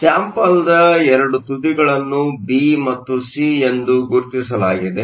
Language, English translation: Kannada, The 2 ends of the sample are label B and C